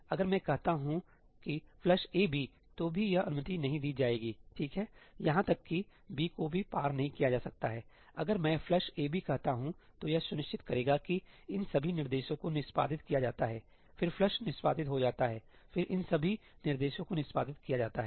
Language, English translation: Hindi, If I say ëflush a comma bí, then even this will not be allowed, right, even ëbí cannot be moved across; if I say ëflush a comma bí, it will ensure that all these instructions get executed, then flush gets executed, then all these instructions get executed